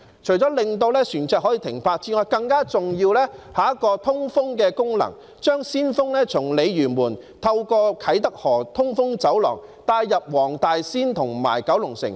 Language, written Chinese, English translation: Cantonese, 除了可以讓船隻停泊之外，更重要的是有通風的功能，將鮮風從鯉魚門透過啟德河通風走廊帶入黃大仙和九龍城。, Apart from providing berthing space for vessels the typhoon shelter has an even more important ventilation function bringing fresh air from Lei Yue Mun to Wong Tai Sin and Kowloon City through the breezeway at Kai Tak River